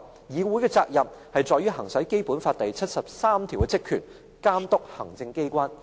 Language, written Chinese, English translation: Cantonese, 議會的責任在於行使《基本法》第七十三條的職權，監督行政機關。, Instead it is duty - bound for the Council to exercise the powers and functions provided for in Article 73 of the Basic Law to monitor the Executive Authorities